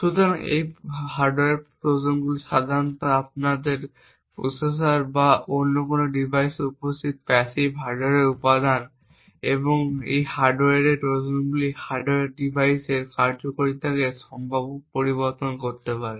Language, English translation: Bengali, So, these hardware Trojans are typically passive hardware components present in your processor or any other device and these hardware Trojans can potentially alter the functionality of the hardware device